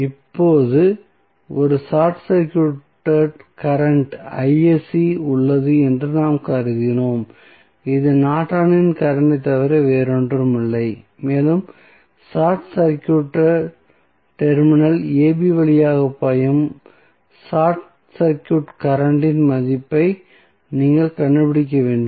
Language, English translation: Tamil, Now, we have assume that there is a short circuit current Isc which is nothing but the Norton's current and you have the circuit you need to find out the value of short circuit current flowing through short circuited terminal AB